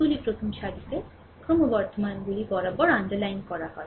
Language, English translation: Bengali, These are underlined along the expanding along the first row